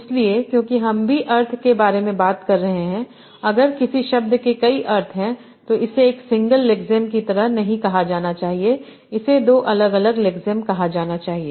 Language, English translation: Hindi, So because I am also talking about the meaning, if a word has multiple meanings, it should not be called as a single lexime which should be called as two different lexem